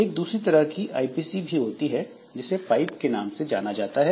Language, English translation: Hindi, There is another type of IPC which is known as pipe